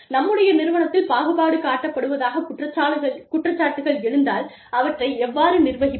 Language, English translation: Tamil, How do we manage discrimination charges, if they are brought against, our organization